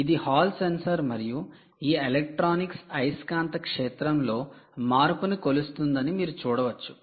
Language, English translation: Telugu, this is a hall sensor and you can see that this electronic essentially is measuring the magnetic field, the change in magnetic field